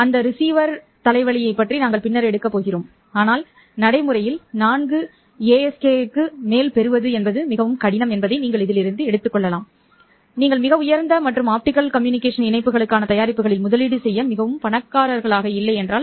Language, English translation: Tamil, We are going to talk about that receiver headaches later on, but you can kind of take it from this one that practically getting more than 4 ASK is quite difficult unless you are very rich to invest in very high end products for optical communication links